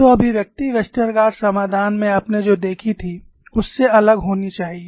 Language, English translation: Hindi, So, the expression should be different than what you had seen in Westergaard solution